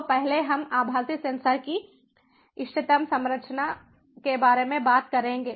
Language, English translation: Hindi, so first we will talk about the optimal composition of virtual sensors